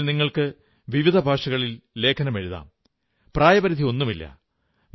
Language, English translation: Malayalam, You can write essays in various languages and there is no age limit